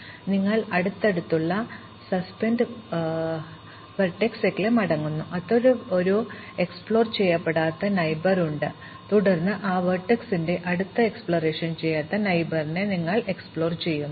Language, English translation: Malayalam, So, you go back to the nearest suspended vertex that still has an unexplored neighbor, and then you explore the next unexplored neighbor of that vertex